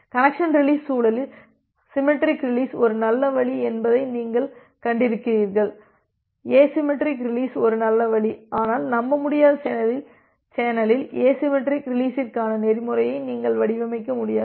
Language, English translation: Tamil, In the context of connection release you have seen that well symmetric release is a good option asymmetric release is a good option, but you cannot design a protocol for asymmetric release in a in a unreliable channel